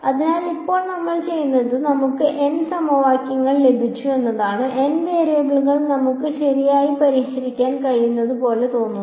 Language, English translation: Malayalam, So, now what we have done is we have got N equation, N variables seems like something we can solve right